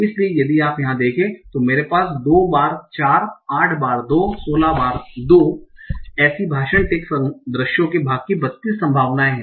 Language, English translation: Hindi, So if you see here I have two times four, eight times two, sixteen times two, thirty two possibilities of the part of speech tax sequences